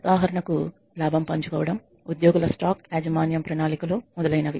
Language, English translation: Telugu, For example, profit sharing, employee stock ownership plans etcetera